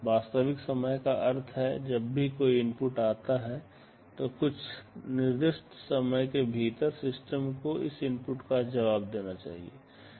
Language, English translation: Hindi, Real time means, whenever an input comes, within some specified time the system should respond to that input